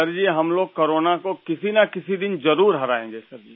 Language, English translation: Hindi, Sir, one day or the other, we shall certainly defeat Corona